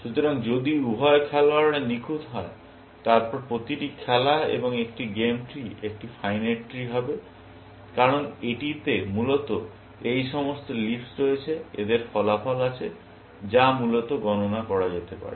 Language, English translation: Bengali, the players are perfect, then every game and a game tree is a finite tree, because it has all these leaves, essentially; has on outcome, which can be computed, essentially